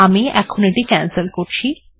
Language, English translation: Bengali, Alright, let me cancel this